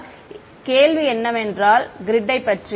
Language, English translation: Tamil, So, question about the grid over here